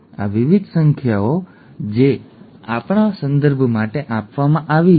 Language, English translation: Gujarati, These are various numbers that are given for our reference